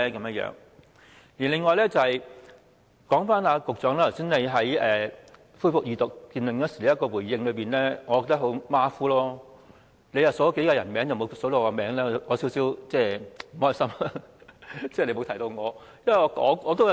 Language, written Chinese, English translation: Cantonese, 此外，我認為局長剛才在恢復二讀辯論時的回應十分馬虎，只提到數個人名，但沒有提及我的名字，我感到有點不快。, Moreover I consider the response given by the Secretary just now during the resumed Second Reading debate rather sloppy . He only mentioned a few peoples names but not mine . I feel a bit unhappy